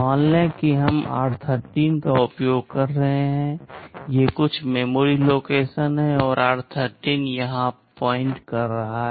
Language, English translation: Hindi, Let us say we are using r13, these are some memory locations and r13 is pointing here